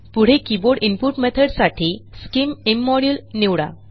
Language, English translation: Marathi, In the Keyboard input method system, select scim immodule